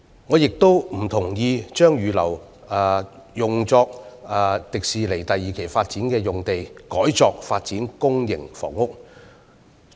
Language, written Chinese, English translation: Cantonese, 我亦不贊同把預留作香港迪士尼樂園第二期發展的用地改作發展公營房屋。, Nor do I agree with converting the use of the site which has been reserved for the second phase development of the Hong Kong Disneyland to public housing development